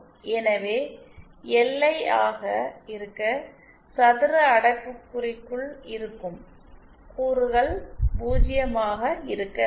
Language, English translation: Tamil, So for LI to be equal to 1 within this term within this square brackets has to be 0